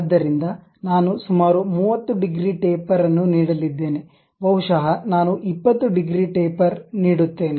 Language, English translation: Kannada, So, I am going to give some 30 degrees taper, maybe some 20 degrees taper I would like to give